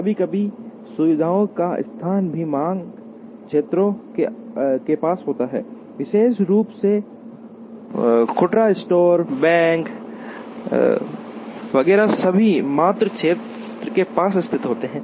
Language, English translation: Hindi, Sometimes, location of facilities also happens near the demand areas, particularly retail stores, banks, etcetera are all located near the demand area